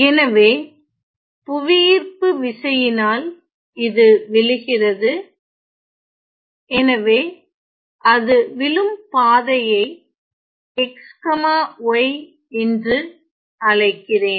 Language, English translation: Tamil, So, due to the action of gravity it will fall, let me call that that falling trajectory by x comma z ok